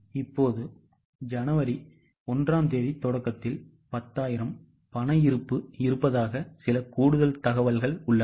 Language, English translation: Tamil, Now, there is some additional information that in the beginning, that is on 1st January, they have a cash balance of 10,000